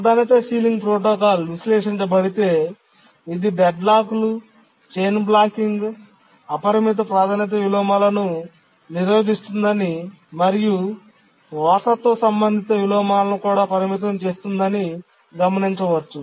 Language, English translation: Telugu, If we analyze the priority sealing protocol, we will see that it prevents deadlocks, prevents chain blocking, prevents unbounded priority inversion, and also limits the inheritance related inversion